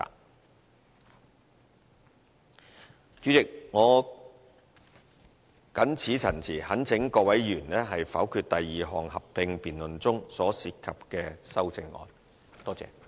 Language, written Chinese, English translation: Cantonese, 代理主席，我謹此陳辭，懇請各位議員否決第二項合併辯論中所涉及的修正案。, With these remarks Deputy President I sincerely ask Members to veto the amendments involved in the second joint debate